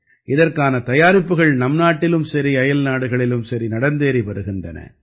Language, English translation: Tamil, Preparations are going on for that too in the country and abroad